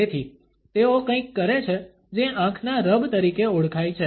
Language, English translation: Gujarati, So, they do something known as the eye rub